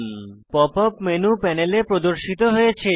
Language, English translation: Bengali, Pop up menu appears on the panel